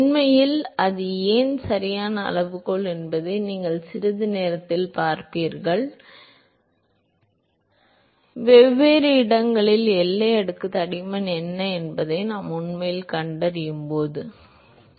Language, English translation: Tamil, In fact, you will see in a short while why that is the correct scaling, when we actually find out what is the boundary layer thickness at different locations, ok